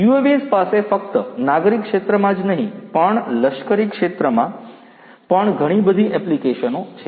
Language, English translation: Gujarati, UAVs have also lot of applications not only in the civilian sector, but also in the military sector as well